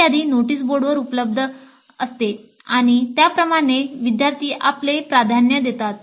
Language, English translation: Marathi, The list is available in the notice board and from that students give their preferences